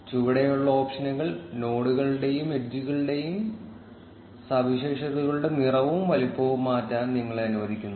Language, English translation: Malayalam, The options towards the bottom let you resize the color and size of the characteristics of nodes and edges